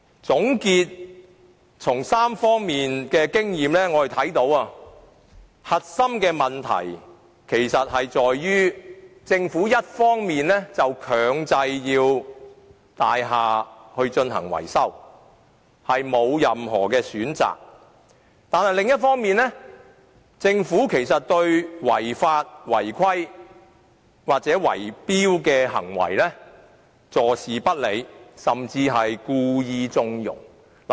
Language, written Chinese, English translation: Cantonese, 總結3方面的經驗，我看到核心問題其實在於：一方面，政府強制大廈進行維修，業主全無選擇；但另一方面，政府對違法、違規的圍標行為坐視不理，甚至故意縱容。, Combining my experiences in these three aspects I see the crux of the problem and that is on the one hand the Government mandates building maintenance while owners have no choice at all; and on the other the Government has turned a blind eye to or even deliberately connived at illegal bid - rigging activities